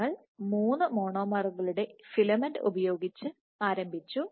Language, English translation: Malayalam, So, you have you start with a filament of three monomers